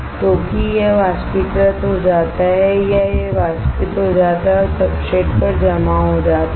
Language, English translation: Hindi, So, that it vaporizes or it evaporates it and gets deposited on the substrate